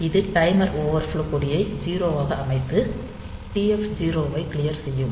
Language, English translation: Tamil, So, it will set this timer overflow flag to 0 and clear TF 0